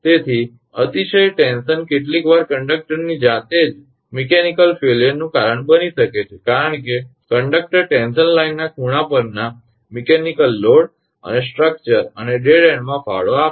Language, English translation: Gujarati, So excessive tension sometimes may cause mechanical failure of the conductor itself, because conductor tension contributes to the mechanical load and structures at the angles in the line and at dead ends